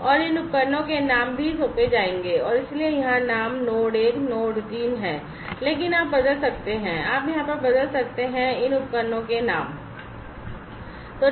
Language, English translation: Hindi, And the names of these devices will also have to be assigned and so, here the names are node 1 and node 3, but you could change, you could over here, you could change the names of these devices